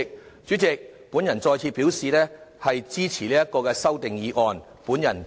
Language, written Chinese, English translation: Cantonese, 代理主席，我再次表示支持這項議案。, Deputy President I once again express my support for this motion